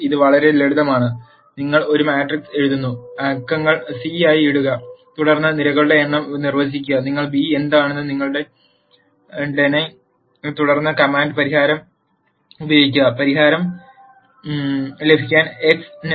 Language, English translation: Malayalam, It is very simple, you write a matrix put the numbers in c and then define the number of columns, you de ne what b is and then simply use the command solve for x to get the solution